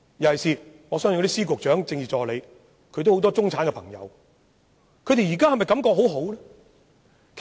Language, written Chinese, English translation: Cantonese, 各司長、局長及政治助理的一眾中產朋友，現在是否都感覺良好呢？, Do these friends of our Secretaries of Departments Bureau Directors and Political Assistants feel good now as members of the middle class?